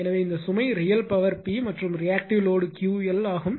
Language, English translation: Tamil, So, this load has a real power P and reactive load is Q l